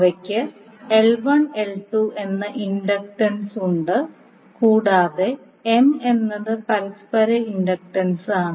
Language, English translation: Malayalam, They have inductances as L 1 and L 2 and M is the mutual inductant